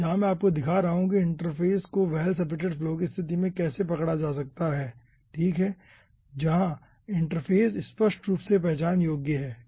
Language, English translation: Hindi, here i will be showing you how interface can be captured in case of well separated flow okay, where interface is clearly identifiable